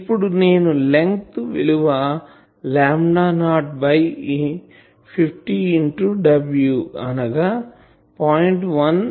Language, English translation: Telugu, Now, length I have assumed lambda not by 50 into w e is 0